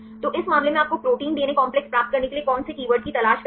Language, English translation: Hindi, So, in this case which keywords you have to search which option you have to search for to get the protein DNA complexes